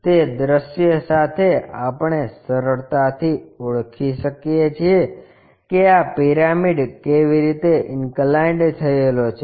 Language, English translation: Gujarati, With that visual we can easily recognize how this pyramid is inclined